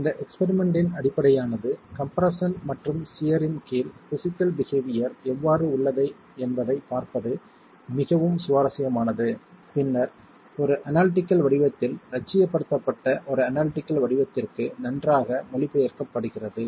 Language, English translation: Tamil, So, what really the basis of this experiment is very interesting to see how the physical behavior under compression and shear has then been nicely translated to an analytical form, idealized into an analytical form